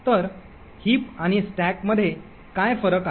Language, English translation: Marathi, So, what is the difference between a heap and a stack